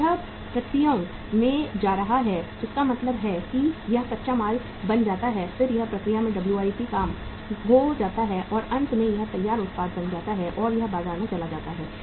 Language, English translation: Hindi, Then it is going to the processes means it becomes raw material, then it becomes WIP work in process and finally it becomes the finished product and it goes to the market